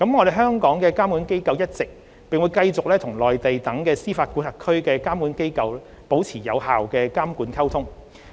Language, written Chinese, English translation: Cantonese, 香港的監管機構一直，並繼續與內地等司法管轄區的監管機構保持有效的監管溝通。, The regulatory authorities in Hong Kong have been and will continue to maintain effective regulatory communications with regulatory authorities in jurisdictions such as the Mainland